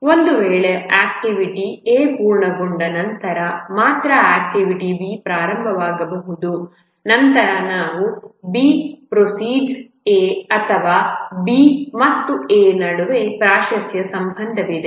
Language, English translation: Kannada, If an activity A can start only after some activity B has completed, then we say that B precedes A or there is a precedence relationship between B and A